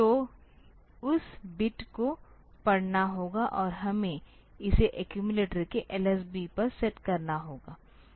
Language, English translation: Hindi, So, that bit has to be read and we have to set it to the LSB of the accumulator